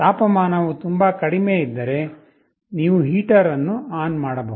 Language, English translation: Kannada, If the temperature is very low, you can turn ON a heater